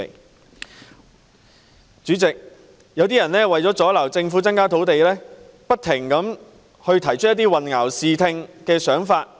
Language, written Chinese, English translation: Cantonese, 代理主席，有些人為了阻撓政府增加土地供應，不停提出混淆視聽的說法。, Deputy President some people in an attempt to obstruct the Governments efforts in increasing land supply have been incessantly making confusing and misleading comments